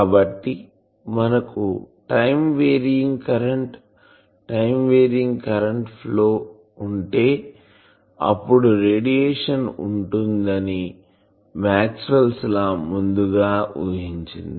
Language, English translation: Telugu, So, you know that if we have a time varying current, time varying electric current, then Maxwell’s law predicted that there will be radiation